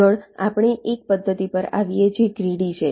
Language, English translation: Gujarati, next we come to a method which is greedy